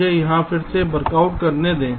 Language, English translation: Hindi, let me just workout here again